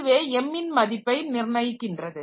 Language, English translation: Tamil, So, that actually determines the value of m